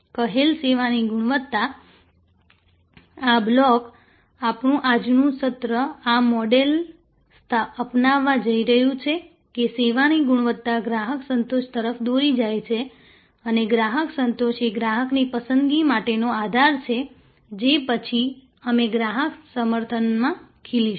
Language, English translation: Gujarati, So, perceived service quality, this block, this is what we are progressing our today session is going to adopt this model that perceived service quality leads to customer satisfaction and customer satisfaction is the bedrock for customer preference, which we will then bloom into customer advocacy